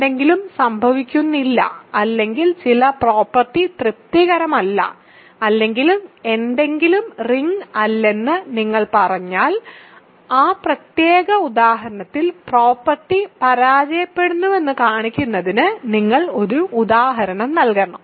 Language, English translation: Malayalam, So, if you say that something does not happen or some property is not satisfied or something is not a ring, you have to give an example to show that the property fails in that particular example